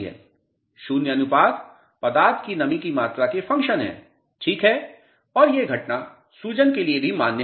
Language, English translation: Hindi, Void ratios are function of moisture content, ok and this phenomena is valid for swelling also